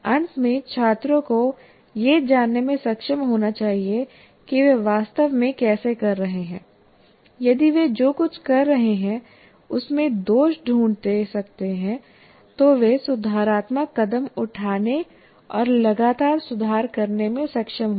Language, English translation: Hindi, And finally, the student should be able to know how exactly they are doing and if they can find faults with whatever they are doing, they will be able to take corrective steps and continuously improve